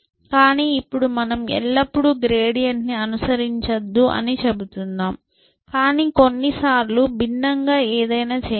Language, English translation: Telugu, now we are saying do not always follow the gradient, but do something different at sometime essentially